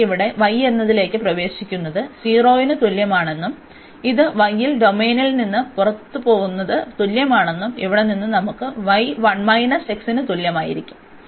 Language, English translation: Malayalam, And then we will see that this line enters here at y is equal to 0 and this leaves the domain at y is equal to so from here we will have y is equal to 1 minus x